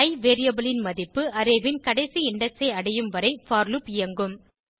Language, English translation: Tamil, The for loop will execute till the value of i variable reaches the last index of an array